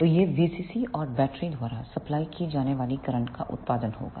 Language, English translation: Hindi, So, this will be the product of V CC and the current supplied by the battery